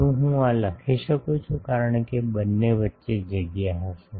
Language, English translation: Gujarati, Can I write this, because there will be space, space between the two ok